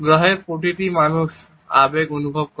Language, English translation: Bengali, Every person on the planet feels emotions